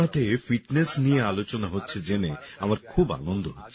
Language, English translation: Bengali, I am very happy to know that fitness is being discussed in 'Mann Ki Baat'